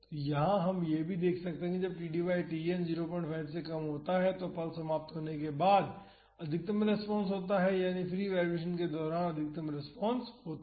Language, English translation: Hindi, So, we have seen that when this td by Tn is less than half, the maximum response occurs after the pulse ends that is the maximum response is during the free vibration